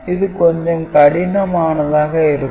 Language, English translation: Tamil, So, it is little bit simple